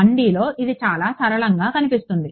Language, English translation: Telugu, In 1D, it looks very simple